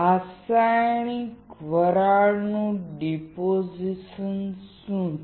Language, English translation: Gujarati, What is chemical vapor deposition